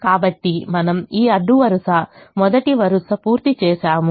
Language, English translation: Telugu, so do i am completed this row, the first row